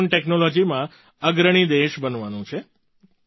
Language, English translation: Gujarati, We have to become a leading country in Drone Technology